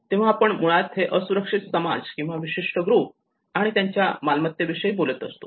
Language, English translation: Marathi, So this is talking basically on the exposed aspect of the vulnerable society or a particular group and their assets